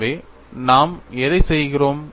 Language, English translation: Tamil, For which what I am doing